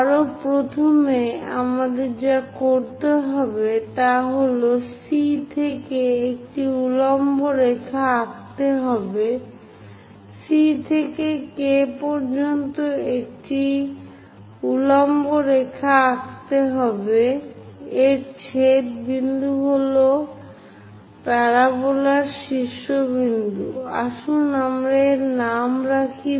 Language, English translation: Bengali, Further first of all what we have to do is, from C drop down a vertical line, from C all the way to K drop a vertical line; the intersection point is the vertex of the parabola, let us name it V